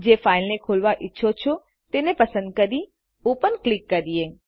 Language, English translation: Gujarati, Select the file you want to open and click Open